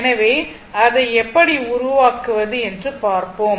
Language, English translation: Tamil, So, let us see how we can make it